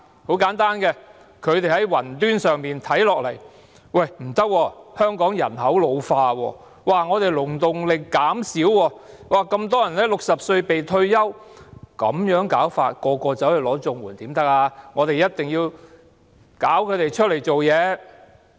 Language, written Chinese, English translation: Cantonese, 很簡單，他們從雲端上看下來，發現香港人口老化，勞動力減少，那麼多人在60歲"被退休"，這樣的話，若每個人均申領綜援可不行，一定要令他們外出工作。, It is very simple . Looking down with their heads in the clouds they find that the Hong Kong population is ageing the labour force has decreased and many people are forced to retire at the age of 60 . Such being the case there will be trouble if everyone applies for CSSA